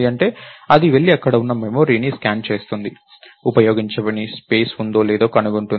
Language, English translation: Telugu, What malloc would do is, it would go and scan the memory that is there, find out if there is unused space